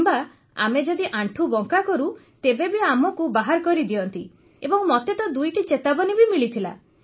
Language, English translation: Odia, Or even if we bend our knees, they expel us and I was even given a warning twice